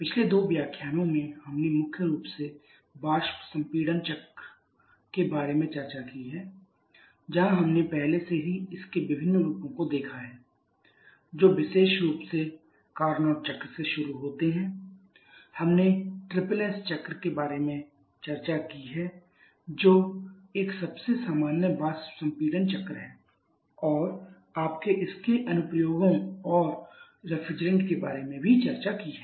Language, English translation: Hindi, Over previous two lectures we have discussed primarily about the vapour compression refrigeration cycle where we have already seen different variations of that particularly starting with the Carnot cycle we have discussed about the triple S cycle which is a most common vapour compression type cycle and also you have discussed about its applications and there are refrigerants